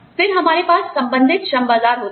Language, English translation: Hindi, Then, we have relevant labor markets